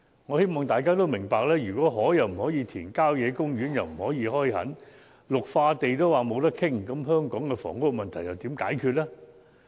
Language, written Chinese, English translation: Cantonese, 我希望大家明白，如果不能填海，也不能開墾郊野公園，更不可以開發綠化地，試問香港的房屋問題如何解決？, I hope Members will understand if land reclamation and development of country parks are prohibited and green belt areas cannot be developed how can we address the housing problem of Hong Kong?